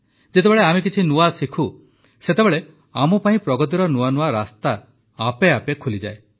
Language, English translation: Odia, When we learn something new, doors to new advances open up automatically for us